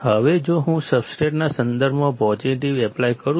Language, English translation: Gujarati, Now, if I apply positive with respect to the substrate